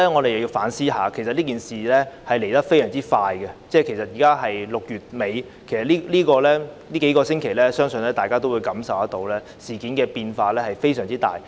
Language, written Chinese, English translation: Cantonese, 其實整件事來得非常快，現在是6月底，但在這數星期，相信大家也感受到事態變化之大。, In fact the whole incident happened very quickly . Now it is late June but I believe we all sensed the enormity of the changes in the developments over the last couple of weeks